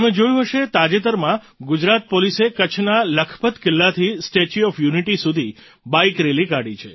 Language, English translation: Gujarati, You must have noticed that recently Gujarat Police took out a Bike rally from the Lakhpat Fort in Kutch to the Statue of Unity